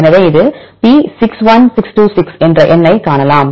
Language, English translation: Tamil, So, you can see this is a number P61626